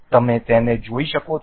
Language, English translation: Gujarati, You can see